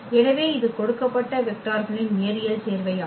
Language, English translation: Tamil, So, that is a linear combination of these given vectors